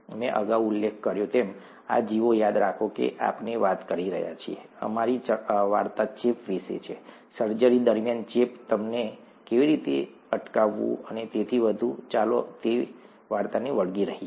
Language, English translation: Gujarati, As I mentioned earlier, these organisms, remember we are talking, our story is about infection, infection in during surgeries, how to prevent them and so on so forth, let’s stick to that story